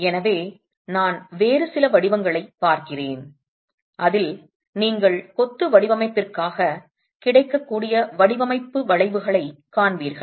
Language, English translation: Tamil, So, I'm just looking at some other forms in which you will see design curves made available for masonry design